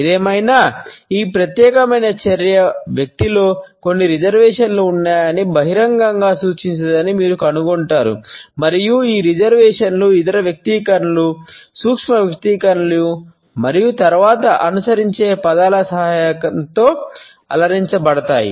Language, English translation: Telugu, In any case you would find that this particular action does not indicate an openness there are certain reservations in the person and these reservations are further to be decorated with the help of other expressions, micro expressions and the words which might follow later on